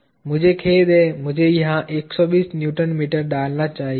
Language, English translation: Hindi, I am sorry, I have I should have inserted 120 Newton meter here ok